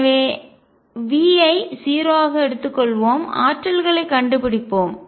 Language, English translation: Tamil, So, let us take V to be 0, find the energies